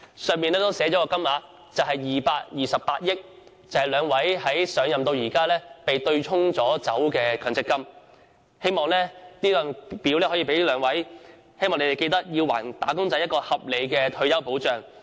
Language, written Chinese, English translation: Cantonese, 申請表格上亦寫上228億元的金額，代表兩位局長上任至今被對沖的強積金總額，希望這份表格能促使兩位局長還"打工仔"合理的退休保障。, I have also stated the amount of 22.8 billion in the form which is the amount of MPF benefits to be offset in MPF accounts since the assumption of office by the two Secretaries . I hope this form will prompt the two Secretaries to restore reasonable retirement protection for wage earners